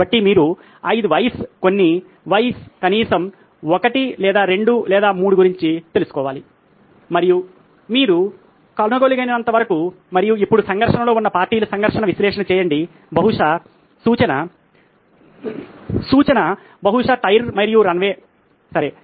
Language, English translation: Telugu, So you have to think about what are the 5 whys, few whys at least 1 or 2 or 3 as much as you can find out and now do a conflict analysis of the parties at conflict, possibly… hint hint possibly the tyre and the runway okay